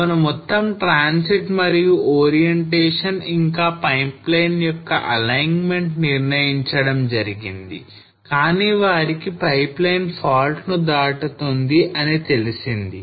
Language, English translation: Telugu, So all the transit and the orientation the alignment of the pipelines was decided, but they came across that or they came to know that this pipeline will cross the fault line